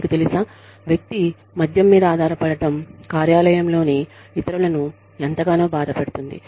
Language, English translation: Telugu, You know, how much is the person's dependence on alcohol, disturbing the others in the workplace